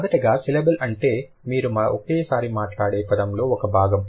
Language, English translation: Telugu, A syllable is a part of the word that you speak at one girl